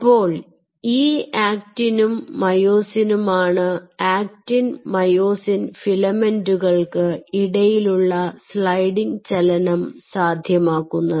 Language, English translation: Malayalam, ok, so now, and these actin and myosin essentially leads to what we call, as there is a sliding motion between actin and myosin filaments